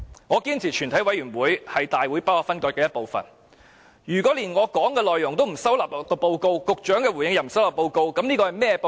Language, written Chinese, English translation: Cantonese, 我堅持全委會是大會不可分割的一部分，如果連我的發言內容也不收納於報告，局長的回應也不收納報告，這是甚麼報告？, I insist that the committee is an integral part of the Council . What kind of report is it if the content of my speech and the Secretarys reply are all not included?